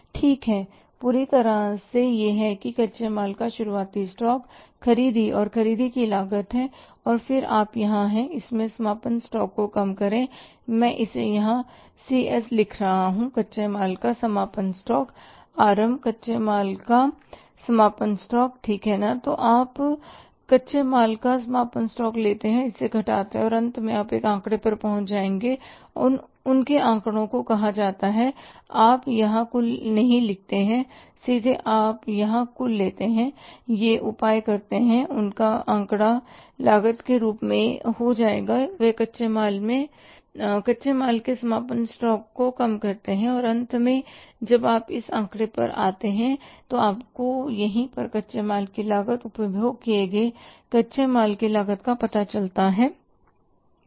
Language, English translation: Hindi, Okay total it up that is the opening stock of raw material purchases and the cost of purchases and then you do here is that is less closing stock C S I am writing here closing stock of raw material RM closing stock of raw material right so you take the closing stock of raw material subtract it and finally you will arrive at one figure and that figure is called as the you don't write the total here state by you take the total here and that means that that figure will become as cost of this is the raw material less closing stock of raw material and finally when you arrive at this figure here you write here cost of raw material consumed cost of raw material consumed